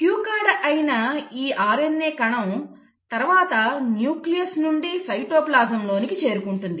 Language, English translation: Telugu, So RNA molecule was your cue card which then moved, can move from the nucleus into the cytoplasm